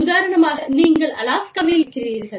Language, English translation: Tamil, For example, you are based in, say, Alaska